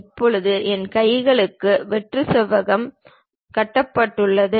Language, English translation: Tamil, Now, my hands are also empty rectangle has been constructed